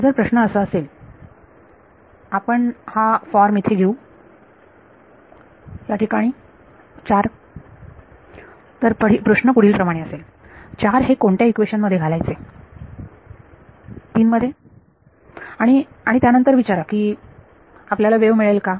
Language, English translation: Marathi, Question will become if so, we will take this form over here 4, so the question is as follows; put 4 in to which equation, into 3 and then ask do we get a wave